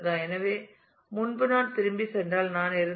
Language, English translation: Tamil, So, earlier if I if I just if I just go back